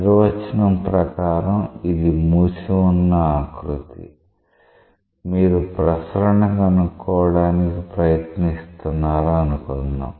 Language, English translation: Telugu, By definition is a closed contour, you try to find out what is the circulation